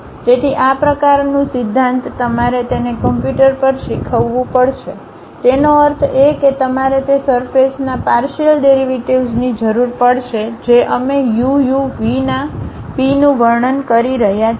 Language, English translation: Gujarati, So, this kind of principle you have to teach it to computer; that means, you require the partial derivatives of that surface which we are describing P of u comma v